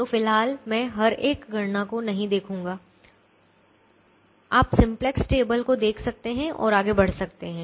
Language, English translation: Hindi, i am not going to go through each and every one of the calculations, the you can see the simplex table and you can proceed